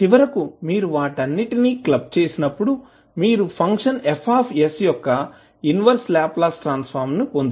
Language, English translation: Telugu, So finally, when you club all of them, you will get the inverse Laplace transform of the function F s